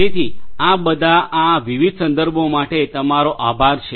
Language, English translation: Gujarati, So, thank you these are all these different references